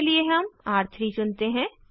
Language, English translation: Hindi, For R3 we choose R3